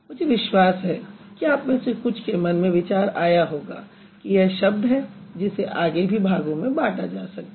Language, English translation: Hindi, I am sure you must be, some of you must got an idea that it's a word which can be divided further